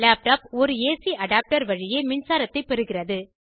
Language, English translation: Tamil, A laptop is powered by electricity via an AC adapter and has a rechargeable battery